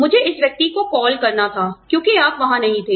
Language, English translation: Hindi, I had to call this person, because, you were not there